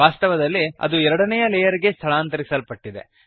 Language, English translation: Kannada, Infact, it has been moved to the second layer